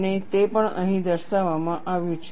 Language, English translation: Gujarati, And, that is what is shown here